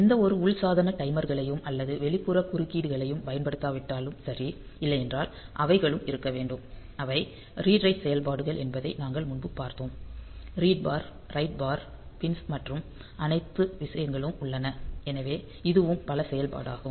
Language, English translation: Tamil, So, if not using any of the internal peripherals timers or external interrupts then it is ok; otherwise so they are to be; we have seen previously that they are, the read write operations; read bar write bar pins and all those things are there, so this is also multi functional